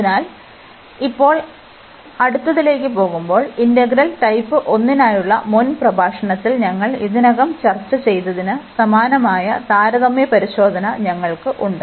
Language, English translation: Malayalam, So, moving now to the next, we have the comparison test the similar to the one which we have already discussed in previous lecture for integral type 1